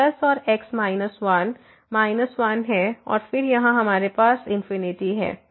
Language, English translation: Hindi, So, plus and into minus one is minus one and then, here we have infinity